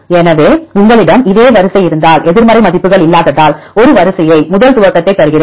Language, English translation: Tamil, So, if you have this same sequence I give a sequence first initialization because there is no negative values